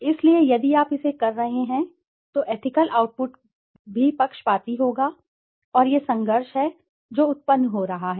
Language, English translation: Hindi, So, if you are doing it then, the ethical output would also be biased and this is the conflict which is arising